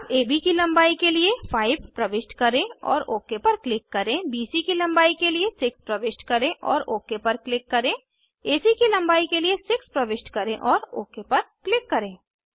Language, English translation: Hindi, Lets Enter 5 for length of AB and click OK,6 for length of BC and click OK, 6 for length of AC and click OK